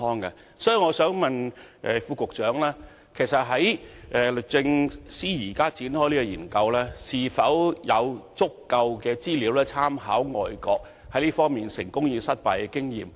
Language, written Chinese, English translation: Cantonese, 因此，我想問局長，律政司對於現正展開的這項研究，是否掌握足夠資料及曾經參考外國在這方面的成功及失敗經驗？, In this connection may I ask the Secretary with regard to this study which is underway now whether DoJ has obtained sufficient information and drawn reference from overseas experiences of successes and failures?